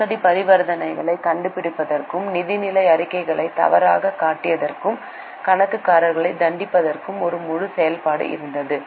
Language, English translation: Tamil, There was a full process for discovering fraudulent transactions and punishing the accountants for mistrating financial statements